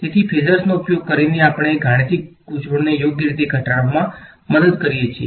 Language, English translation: Gujarati, So, this using phasors helps us to reduce the mathematical complication right